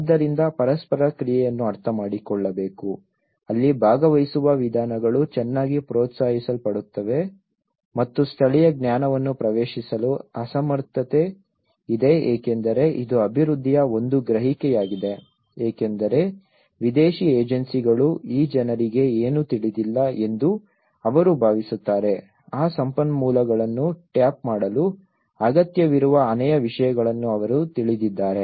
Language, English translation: Kannada, So one has to understand that interaction that is where participatory approaches are very well encouraged and inability to access local knowledge because this is one perception to development they think that the foreign agencies whoever comes within that these people doesnÃt know anything one has to understand that they know many things one need to tap that resources